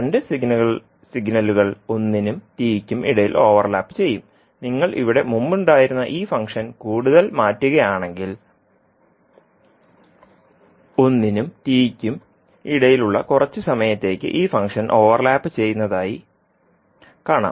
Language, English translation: Malayalam, So what will happen now the two signals will overlap between one to t so if you are shifting this function which was earlier here further then you will see that for some time that is between one to t these function will overlap, right